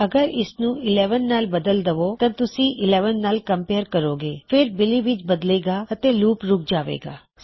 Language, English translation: Punjabi, If you change this to 11, youll compare it to 11, then change it to Billy and then itll end the loop